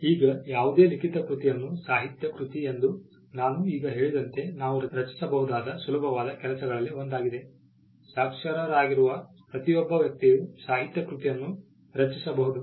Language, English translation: Kannada, Now, any written work is construed as a literary work and literary work as I just mentioned is the one of the easiest things that we can create, almost every person who is literate can create a literary work